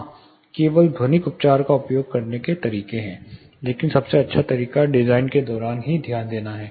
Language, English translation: Hindi, Yes, there are methods ways of doing just using acoustic treatment, but best way is to pay attention more attention during the design itself